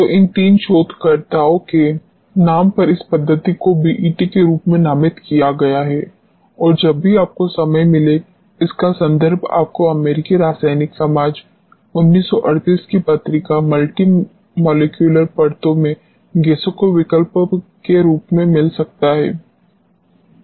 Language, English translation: Hindi, So, in the name of these three researchers this method has been named as BET and this has reference you can go through whenever you get time as option of gases in multimolecular layers, journal of American chemical society 1938